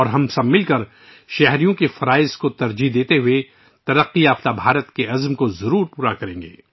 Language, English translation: Urdu, And together we shall certainly attain the resolve of a developed India, according priority to citizens' duties